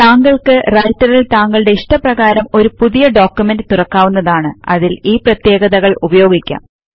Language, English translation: Malayalam, You can open a new document of your choice in Writer and implement these features